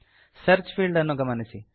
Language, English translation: Kannada, Notice, the Search field